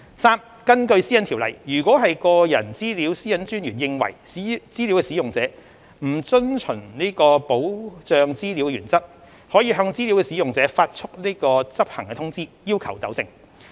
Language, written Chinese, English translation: Cantonese, 三根據《私隱條例》，如個人資料私隱專員認為資料使用者不遵循保障資料原則，可向資料使用者發出執行通知，要求糾正。, 3 Pursuant to PDPO if the Privacy Commissioner for Personal Data considers that a data user contravenes a Data Protection Principle the Commissioner may issue an enforcement notice to the data user requesting rectification